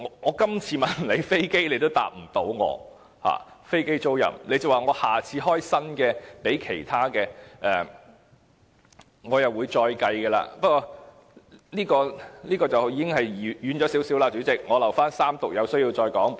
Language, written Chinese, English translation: Cantonese, 我今次問關於飛機租賃的問題政府也無法回答，只說下次就其他方面提出新措施時會再作計算，不過我的發言已有點離題了，我留待三讀有需要時再發言。, It seems as though it has not answered the question . Being unable even to answer my question on the aircraft leasing the Government only said it would consider again when it proposes new initiative for another sector . Nevertheless I have digressed a little from the subject and I will speak again where necessary during the Third Reading of the Bill